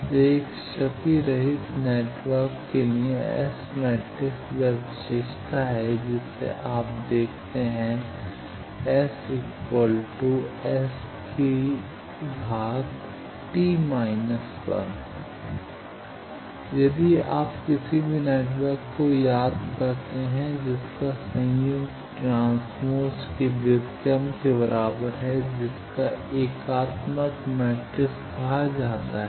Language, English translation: Hindi, So, for a lossless network, the S matrix is this property you see S conjugate is equal to S transpose inverse that, now, if you remember any network whose conjugate is equal to inverse of transpose that is called a unitary matrix